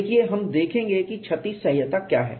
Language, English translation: Hindi, See we look at what is damage tolerance